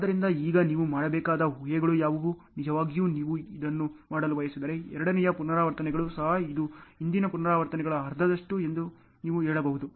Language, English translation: Kannada, So, now, what are the assumptions you have to do, really if you want to do this also the second repetitions also you can say it is half of the earlier repetitions